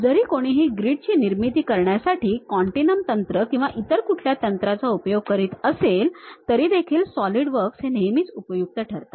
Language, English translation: Marathi, Even if someone is trying to use other specialized continuum mechanics for the grid generation and other techniques, Solidworks always be helpful